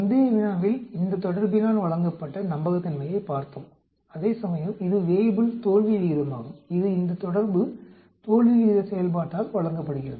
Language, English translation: Tamil, In the previous case we looked at the reliability which is given by this relationship whereas this is Weibull failure rate which is given by this relationship failure rate function